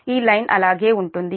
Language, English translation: Telugu, this line will remain same